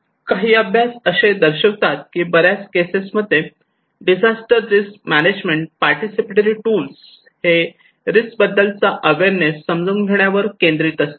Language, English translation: Marathi, Some studies is showing that most of the cases disaster risk management participatory tools their focus is on understanding the risk awareness